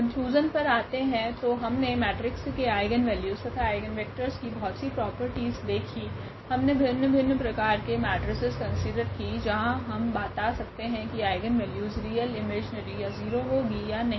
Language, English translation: Hindi, Getting to the conclusion, so we have seen several properties of this eigenvalues and eigenvectors of a matrix, we have considered different; different types of matrices where we can tell about whether the eigenvalues will be real imaginary if your imaginary you are 0